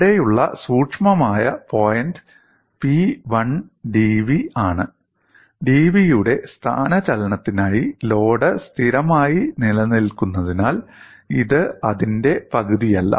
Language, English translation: Malayalam, The subtle point here is it is P 1 into dv; it is not half of that because the load has remained constant for the displacement dv